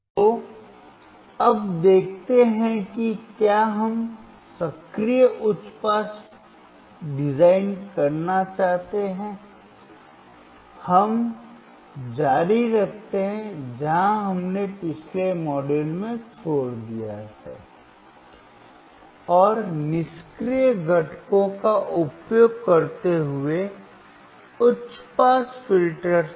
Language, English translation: Hindi, So, let us now see if we want to design, active high pass we continue where we have left in the last module, and that was high pass filter using passive components